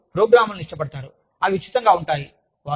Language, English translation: Telugu, like programs, that are free of cost